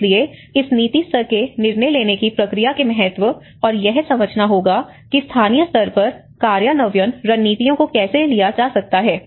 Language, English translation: Hindi, So, one has to understand that importance of this policy level decision making process and how it can be taken to the local level implementation strategies